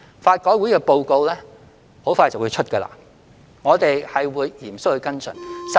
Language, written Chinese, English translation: Cantonese, 法改會的報告快將發表，我們會嚴肅跟進。, We will seriously follow up on LRCs report to be released soon